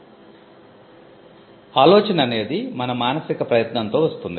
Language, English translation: Telugu, So, an idea is something that comes out of a mental effort